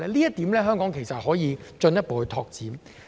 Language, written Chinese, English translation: Cantonese, 在這方面，香港其實可以進一步拓展。, In this regard Hong Kong actually can seek further development